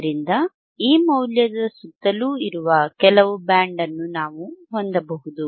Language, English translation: Kannada, So, we can have some band which is around this value, right